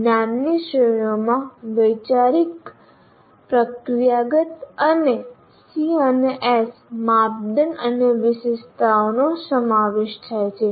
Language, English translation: Gujarati, And the knowledge categories include conceptual, procedural, and C and S's criteria and specifications